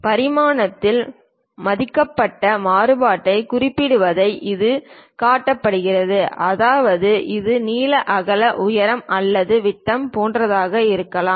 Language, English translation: Tamil, It limits specifying the allowed variation in dimension; that means, it can be length width, height or diameter etcetera are given the drawing